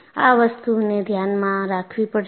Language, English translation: Gujarati, You have to keep that in mind